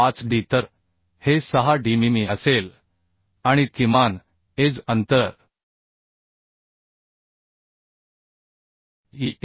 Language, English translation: Marathi, 5d so this will be 60 mm and minimum edge distance e will be 1